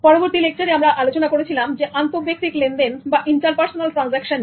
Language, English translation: Bengali, In the next lecture, the focus was on interpersonal transactions